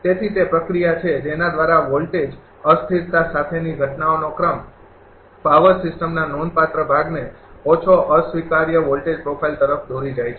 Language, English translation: Gujarati, So, it is the process by which the sequence of events accompanying voltage instability leads to a low unacceptable voltage profile in a significant part of the power system